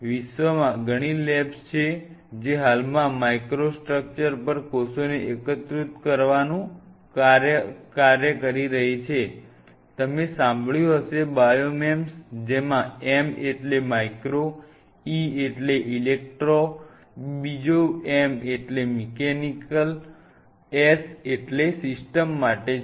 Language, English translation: Gujarati, Then there are several labs across the world who are currently working in the area of integrating cell on microstructures, which you must have heard something called Biomems M stands for micro, E stands for electro, the second M is mechanical, S stand for system